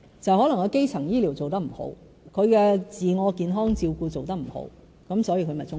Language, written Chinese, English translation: Cantonese, 可能是基層醫療做得不好，自我健康照顧做得不好，因此他便中風。, The cause of this may be problems with the primary health care system and thus the inability of the elderly to look after their own health